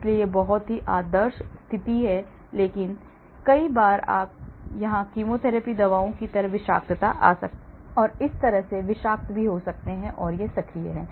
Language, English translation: Hindi, so this is the very ideal situation but many times you can have toxicity coming in here like some of the chemotherapy drugs and so on which can be also toxic and it is active